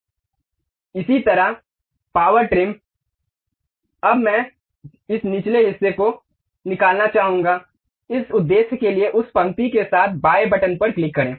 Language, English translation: Hindi, Similarly, power trim, now I would like to remove this bottom portion, for that purpose, click left button move along that line